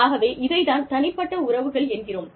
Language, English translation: Tamil, And, that is what, personal relationships are, all about